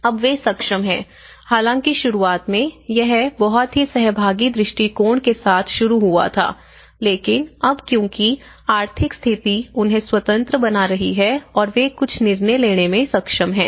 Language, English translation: Hindi, So, they are able to, now in the beginning though initially, it has started with a very participatory approach but now because the economic status is making them independent and they are able to take some decisions